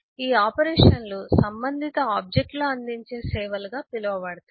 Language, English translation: Telugu, this operations are known as the services offered by the respective objects